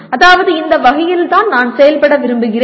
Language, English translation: Tamil, That is, this is the way I wish to behave